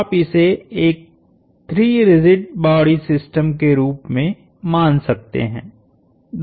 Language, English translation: Hindi, So, you could think of this as a 3 rigid body system